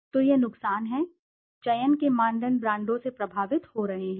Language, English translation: Hindi, So this is disadvantage, the disadvantage is, that the criteria of selection is being influenced by the brands